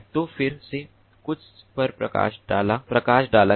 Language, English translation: Hindi, so some highlights again